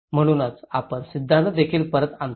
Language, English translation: Marathi, So that is where we bring back the theory also